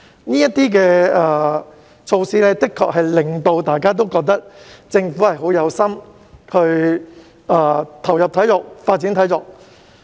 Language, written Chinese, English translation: Cantonese, 這些措施的確令到大家都覺得，政府是很有心發展體育。, These measures have indeed given everyone an impression that the Government is very committed to sports development